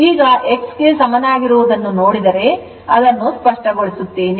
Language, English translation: Kannada, Now, if you look into that x is equal to , let me clear it